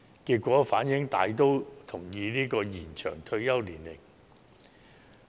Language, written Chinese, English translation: Cantonese, 結果反映受訪者大都同意延展退休年齡。, The results reflected that most respondents agreed to extend the retirement age